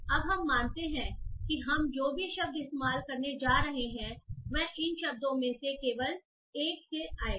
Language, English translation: Hindi, Now we assume that whatever words that we are going to use will come from only one of these words